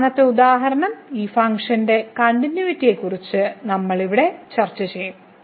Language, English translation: Malayalam, The last example, we will discuss here the continuity of this function at origin